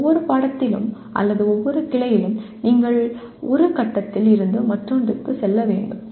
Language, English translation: Tamil, In every subject or every branch you have to go from one point to the other